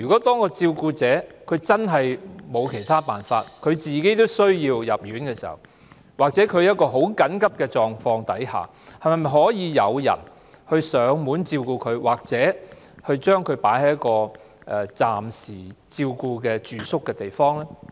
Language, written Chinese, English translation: Cantonese, 當照顧者真的別無他法，連自己都需要入院時，或在極緊急的情況下，當局可否派人上門照顧病患者，或將其送到一個提供暫顧服務的地方暫住？, When a carer has no choice but to stay in hospital or in case of extreme emergency can the authorities send someone to take care of the patient in the carers home or arrange a short - term stay for the patient to receive respite service?